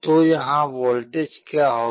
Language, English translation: Hindi, So, what will be the voltage here